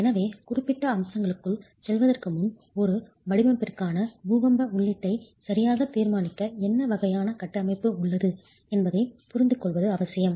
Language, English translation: Tamil, So, before we get into specific aspects, it's important to understand what sort of a framework is available to decide the earthquake input for your design itself